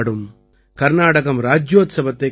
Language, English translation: Tamil, Karnataka Rajyotsava will be celebrated